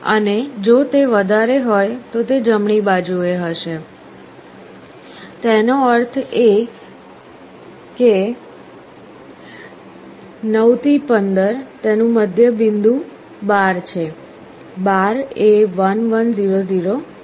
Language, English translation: Gujarati, And on the right hand side if it is greater; that means, 9 to 15, middle point of it is 12, 12 is 1 1 0 0